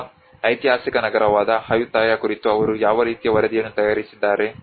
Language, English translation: Kannada, Or what kind of report they have produced on the historic city of Ayutthaya